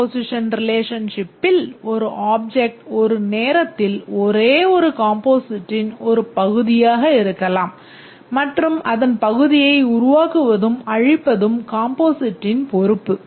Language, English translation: Tamil, In the composition relationship, an object may be part of only one composite at a time and the composite is responsible for creation and destruction of its part